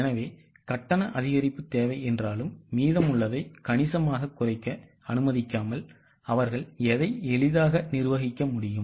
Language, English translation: Tamil, So, though the requirement of payment increase, they could easily manage that without allowing the balance to go down substantially